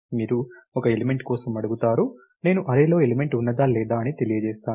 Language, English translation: Telugu, You ask for an element, I return the element whether present in the array or not